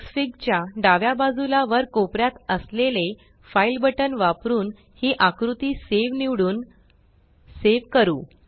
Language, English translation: Marathi, Let us now save this figure using the file button at the top left hand corner of Xfig and choosing save